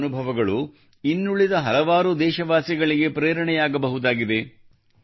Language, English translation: Kannada, Your experiences can become an inspiration to many other countrymen